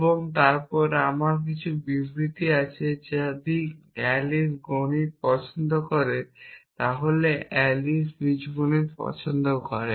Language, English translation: Bengali, And then I have a statement if Alice like math then Alice likes algebra